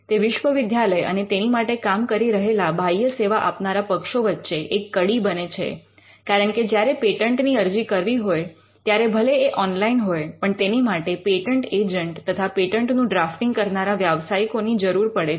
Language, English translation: Gujarati, It can do it or it is a connection between the university, the people who work in the university and the external service providers because, the patent do it can be filed online requires a patent agent it requires professionals who can help you and drafting